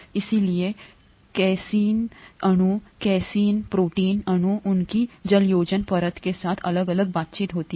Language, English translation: Hindi, Therefore the casein molecules, the casein protein molecules there have different interactions with their hydration layer